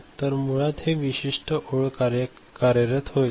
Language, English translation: Marathi, So, basically this particular line will be now operating